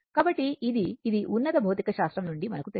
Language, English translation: Telugu, So, this is from your higher secondary physics